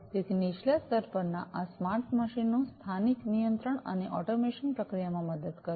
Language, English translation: Gujarati, So, these smart machines at the lowest layer will help in local control and automation processes